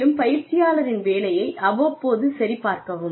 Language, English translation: Tamil, And, check the work of the learner, from time to time